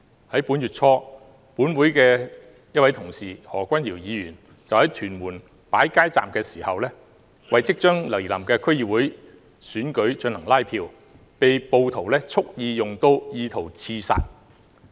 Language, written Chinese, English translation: Cantonese, 在本月初，本會一位同事何君堯議員就在屯門擺設街站，為即將來臨的區議會選舉進行拉票期間，被暴徒蓄意用刀意圖刺殺。, Early this month a Council Member Mr Junius HO set up a street booth in Tuen Mun to campaign for the upcoming District Council Election . He was stabbed by a rioter who intended to assassinate him